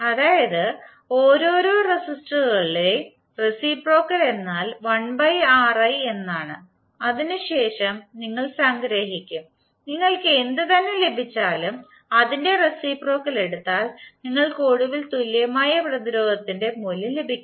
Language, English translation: Malayalam, So reciprocal of individual resistances is 1 upon Ri and then you will sum up and whatever you will get finally you will take again the reciprocal of same and you will get the value of equivalent resistance